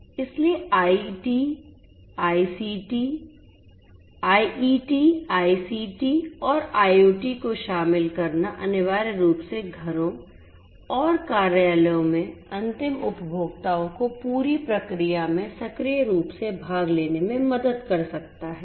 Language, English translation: Hindi, So, the incorporation of IT, ICT and IoT can essentially help the end consumers in the homes and offices to actively participate to actively participate in the entire process